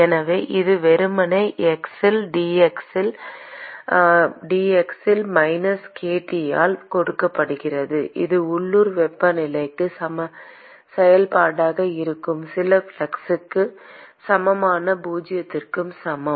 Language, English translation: Tamil, And so, that is simply given by minus k dT by dx at x equal to zero equal to some flux which is a function of the local temperature